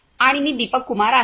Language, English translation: Marathi, And I am Deepak Kumar